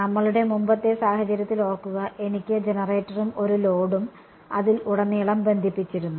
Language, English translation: Malayalam, Remember in our earlier case, I had the generator and one load connected across it